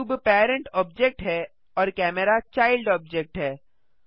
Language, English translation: Hindi, The cube is the parent object and the camera is the child object